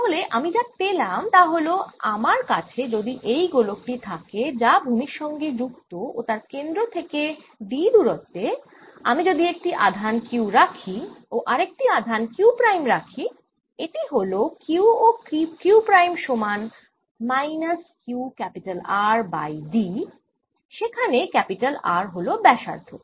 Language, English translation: Bengali, so what i have found is that if i have this sphere which is grounded, and i put a charge at a distance d from its centre, then if i put another charge here, q prime, this is q, q prime equals minus q r over d